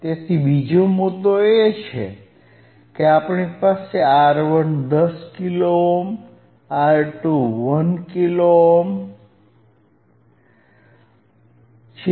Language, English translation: Gujarati, So, another point is, here we have R 1 equals to 10 kilo ohm, R 2 equals to 1 kilo ohm, right